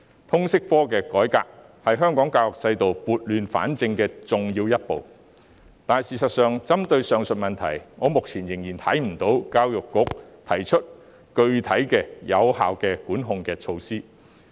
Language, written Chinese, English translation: Cantonese, 通識科的改革是香港教育制度撥亂反正的重要一步，但針對上述問題，我目前仍未看到教育局提出具體和有效的管控措施。, The reform of LS subject is a crucial step to put Hong Kongs education system right . However so far I have not seen any specific and effective regulatory and control measures proposed by the Education Bureau to address the above problems